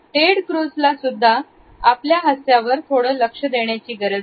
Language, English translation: Marathi, And Ted Cruz, also has some work to do on his smile